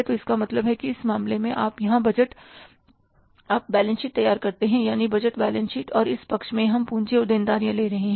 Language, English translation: Hindi, So, it means in this case you prepare the balance sheet here, that is the budgeted balance sheet and in this side we are taking the capital and liabilities